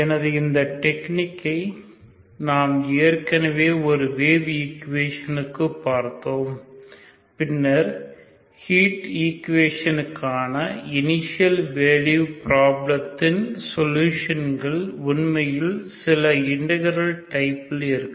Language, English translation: Tamil, So this technique we have already seen for a wave equation and then we see that the solution of initial value problem for the heat equation is actually some integral type of solution